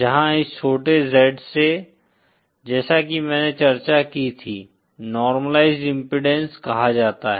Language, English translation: Hindi, Where this small z, as I as we discussed, is called the normalized impedance